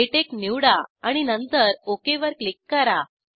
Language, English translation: Marathi, Choose LaTeX and then click on Ok